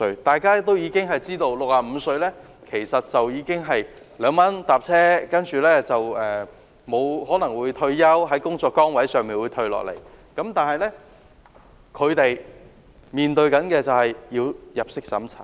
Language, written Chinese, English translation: Cantonese, 大家都知道 ，65 歲的長者可以2元乘車，他們可能已經退休，從工作崗位上退下來，但卻要面對入息審查。, We all know that elderly people aged 65 or above can enjoy the 2 fare concession in public transport . They might be retirees who have stepped down from their jobs then a means test is awaiting them